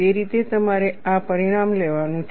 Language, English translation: Gujarati, That is the way you have to take this result